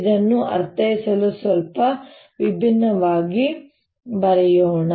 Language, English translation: Kannada, to interpret this, let us write it slightly differently